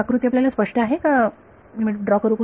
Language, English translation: Marathi, Is this figure clear or should I draw it again